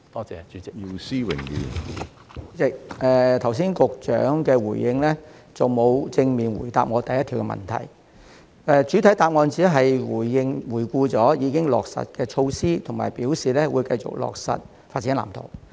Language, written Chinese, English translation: Cantonese, 主席，局長剛才的主體答覆沒有正面回答我質詢的第一部分，他在主體答覆只回顧了已經落實的措施，以及表示會繼續落實《發展藍圖》。, President the Secretary did not directly answer part 1 of my question in his main reply just now . In the main reply he only reviewed the measures already implemented and indicated that he would continue to implement the Blueprint